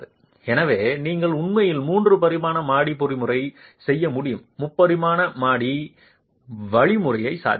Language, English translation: Tamil, So, you could actually do a three dimensional story mechanism and a three dimensional story mechanism is possible